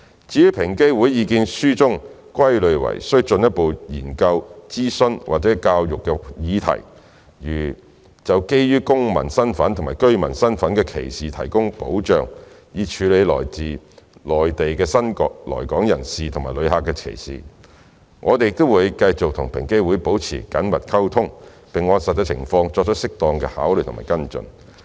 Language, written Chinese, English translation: Cantonese, 至於在平機會意見書中歸類為需進一步研究、諮詢和教育的議題，例如就基於公民身份及居民身份的歧視提供保障，以處理對來自內地的新來港人士及旅客的歧視，我們會繼續與平機會保持緊密溝通，並按實際情況作出適當的考慮和跟進。, As for the issues requiring further research consultation and education in the EOCs Submissions such as the provision of protection from discrimination on grounds of citizenship and residency status to address discrimination against new immigrants and tourists from the Mainland China we will maintain close communication with EOC and keep an eye on the actual circumstances to give due consideration and follow up as appropriate